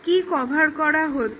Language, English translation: Bengali, What is covered